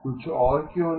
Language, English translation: Hindi, Why not something else